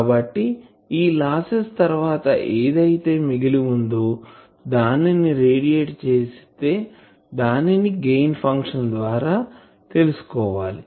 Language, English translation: Telugu, So, after that loss , whatever is remaining whether it is able to radiate that that will come from this Gain function